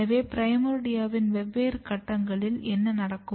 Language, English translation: Tamil, So, if you see different stage of primordia what happens